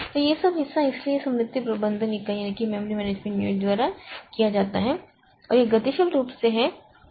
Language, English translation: Hindi, So, this is done by the memory management unit and that is that happens dynamically